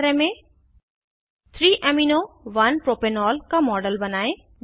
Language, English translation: Hindi, For the Assignment Create a model of 3 amino 1 propanol